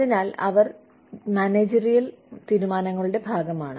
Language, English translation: Malayalam, So, they form a part of managerial decisions